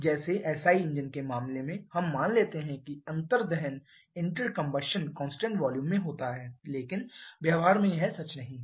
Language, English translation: Hindi, Like in case of SI engines we assume the inter combustion to takes place at constant volume but that is not true in practice